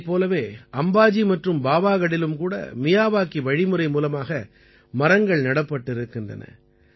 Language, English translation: Tamil, Similarly, saplings have been planted in Ambaji and Pavagadh by the Miyawaki method